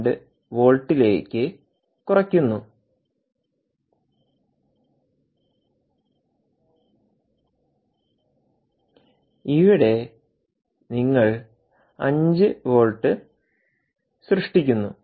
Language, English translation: Malayalam, by some other mechanism you bring it down to five point, two volts and here you generate five volts